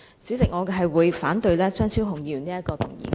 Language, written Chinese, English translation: Cantonese, 主席，我反對張超雄議員的議案。, President I reject Dr Fernando CHEUNGs motion